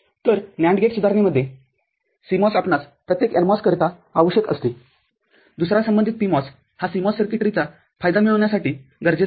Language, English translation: Marathi, So, in NAND gate development CMOS we need for every NMOS another corresponding PMOS to get the advantage of the CMOS circuitry